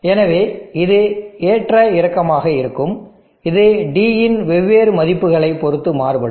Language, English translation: Tamil, So this will fluctuate, this will vary depending upon different values of D